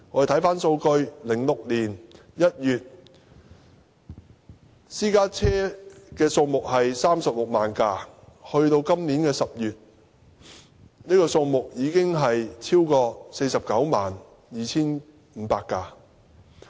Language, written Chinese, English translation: Cantonese, 查看數據 ，2006 年1月，領牌私家車數目為36萬輛，而去年10月，這個數字已超過 492,500 輛。, The statistics indicated that there were 360 000 licensed private cars in January 2016 and the number exceeded 492 500 in October last year